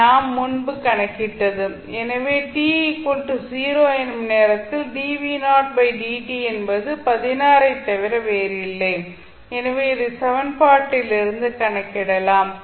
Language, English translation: Tamil, So, now dv, dv by dt at time t is equal to 0 is nothing but 16, so this you can calculate from the equation